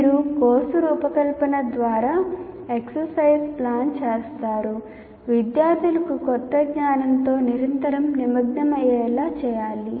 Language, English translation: Telugu, You plan exercises through course design in such a way that students are required to engage constantly with the new knowledge that is being imparted